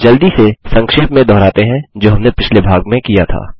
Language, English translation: Hindi, Let us have a quick recap of what was done in the last part